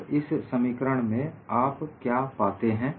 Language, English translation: Hindi, And what do you find in this expression